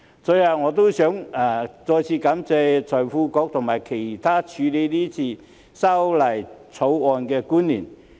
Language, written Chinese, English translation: Cantonese, 最後，我想再次感謝財經事務及庫務局局長及其他處理《條例草案》的官員。, Last but not least I would like to thank the Secretary for Financial Services and the Treasury and other officials who have handled the Bill